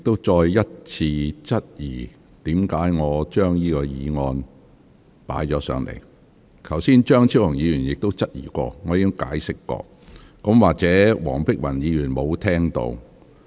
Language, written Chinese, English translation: Cantonese, 在張超雄議員早前提出同樣質疑時，我已作出解釋，或許黃碧雲議員沒有聽到。, When Dr Fernando CHEUNG raised the same question earlier I had already given my explanation . Perhaps Dr Helena WONG has not heard it